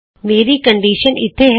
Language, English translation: Punjabi, My condition is here